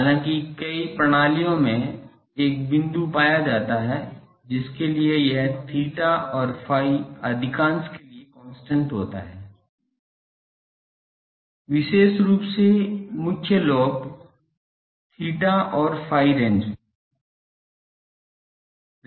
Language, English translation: Hindi, However, in many systems a point can be found for which this constant for most of theta and phi, especially the main lobe theta and phi range